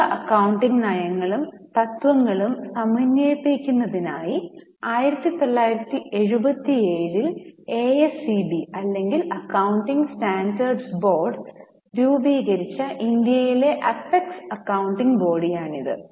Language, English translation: Malayalam, This is an APEX accounting body in India which constituted ASB or accounting standard board in 1997 in order to harmonize various accounting policies and principles